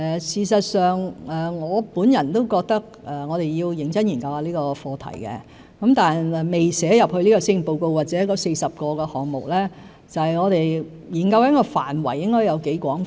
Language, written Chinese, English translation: Cantonese, 事實上，我本人也認為要認真研究這個課題，但未寫進這份施政報告或那40個立法建議項目，是因為我們正在研究涵蓋範圍應該有多廣泛。, In fact I personally also consider it necessary to study this subject in a serious manner . However it is not included in this Policy Address or the list of 40 legislative proposals because we are studying how wide the scope should be